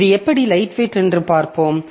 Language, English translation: Tamil, So, we'll see how is it lightweight